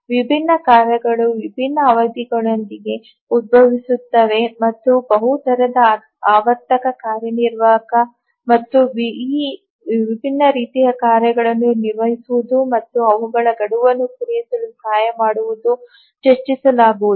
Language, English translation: Kannada, different tasks arise with different periods and we will discuss about the multi rate cyclic executive and how does it handle these different types of tasks and help to meet their deadline